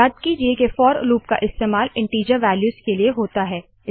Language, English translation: Hindi, Recall that the for loop is used for integer values